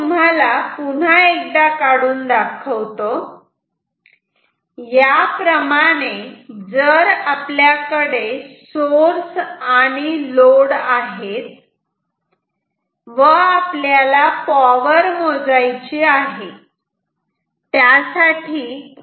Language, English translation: Marathi, So, if we have once again let me draw this we have a source and a load we want to measure the power